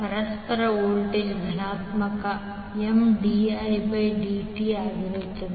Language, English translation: Kannada, The mutual voltage will be positive M dI 1by dt